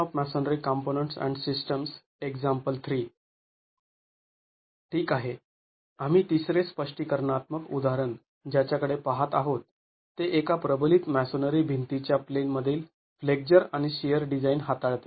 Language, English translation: Marathi, The third illustrative example that we are going to be looking at deals with the in plain flexure and shear design of a reinforced masonry wall